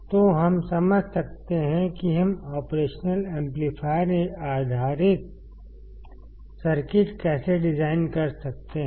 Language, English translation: Hindi, So, we understand how we can design operation amplifier based circuits